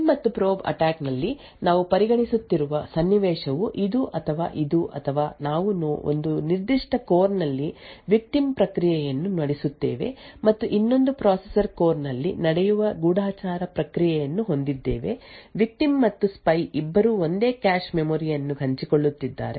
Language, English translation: Kannada, In a prime and probe attack the scenario we are considering is either this or this or we have a victim process running in a particular core and a spy process running in another processor core, the both the victim and spy are sharing the same cache memory